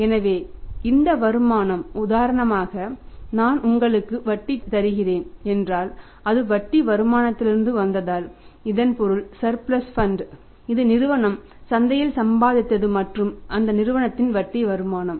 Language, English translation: Tamil, So, if this the income for example I give you the interest if it is from the interest means the surplus funds which the firm as earned either in the market then the firm is earning interest income out of that